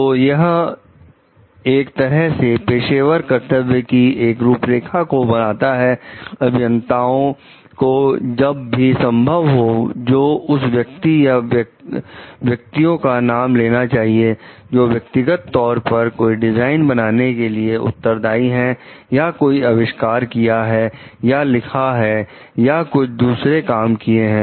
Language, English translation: Hindi, So, it like outlines the following as professional obligations, engineers shall whenever possible name the person or persons, who may be individually responsible for designs, inventions writings or other accomplishments